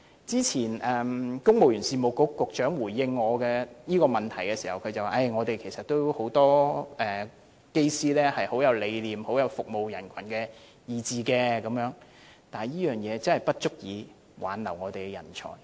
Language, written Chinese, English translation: Cantonese, 早前公務員事務局局長回應我這項問題時說，其實政府也有很多機師也是有服務人群的理念，但這點真的不足以挽留我們的人才。, In response to my question earlier the Secretary for the Civil Service said that many pilots in the Government are also devoted to serving the public . But this is really not enough to retain our personnel